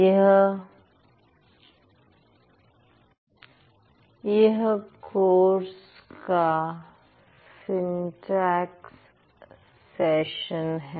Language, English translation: Hindi, So, this is the syntax session of this course